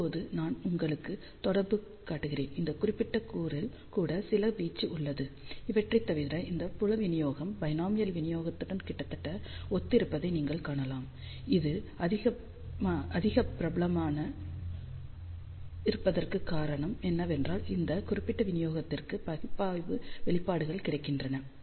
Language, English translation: Tamil, So, now, let me show you the correlation you can see that this field distribution is almost similar to that of binomial distribution except that some amplitude is there even at this particular element; the reason why this is more popular because analytical expressions are available for this particular distribution